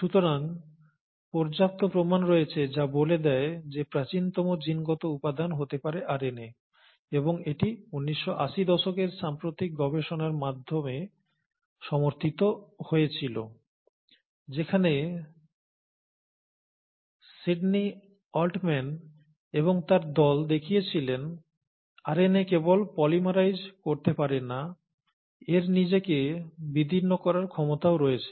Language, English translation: Bengali, So, there are enough proofs which suggest that RNA might have been the earliest genetic material, and this was also supported by the recent findings in nineteen eighties, where Sydney Altman and team, that RNA can not only polymerize, it is also has the ability to cleave itself